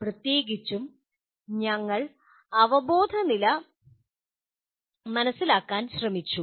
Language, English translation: Malayalam, And particularly we tried to understand the cognitive levels